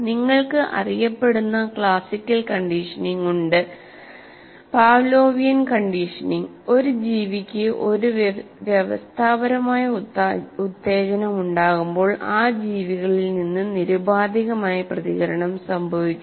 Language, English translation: Malayalam, And then you have famous well known classical conditioning, the Pavlovian conditioning it's called, occurs when a conditioned stimulus to an organism prompts an unconditioned response from that organism